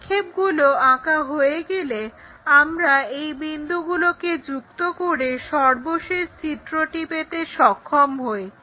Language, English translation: Bengali, Once the projection is done, we can always join these points to have final figure what we are about to see